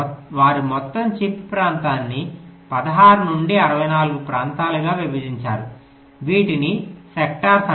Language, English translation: Telugu, they divided the entire chip area into sixteen to sixty four regions